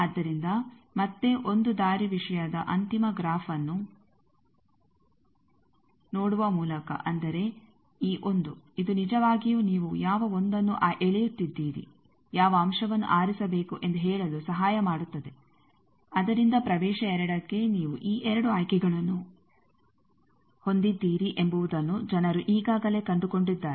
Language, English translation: Kannada, So, again by looking at that final graph of 1 way thing; that means, this 1 this 1 this actually helps you to tell that which 1 you are getting pulled, which element to choose from that people have already found out that for region 2 you have these 2 choices